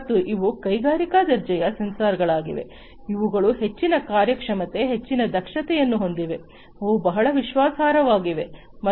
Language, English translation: Kannada, And these are industry grade sensors these have higher performance, higher efficiency, they can, they are very reliable